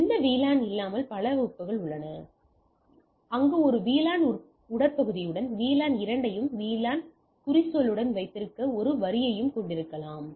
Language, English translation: Tamil, So, with no VLAN we have multiple link, where with a VLAN trunk we can have a single line to have the both the VLAN with the VLAN tagging